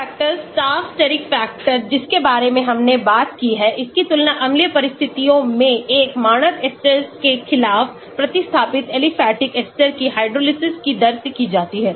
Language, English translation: Hindi, Steric factors Taft Steric factor we talked about is compared the rates of hydrolysis of substituted aliphatic esters against a standard ester under acidic conditions